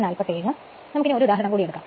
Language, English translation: Malayalam, So, now take the example one